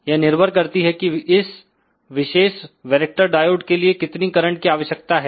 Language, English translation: Hindi, See that depends upon now, what is the current required for this particular varactor diode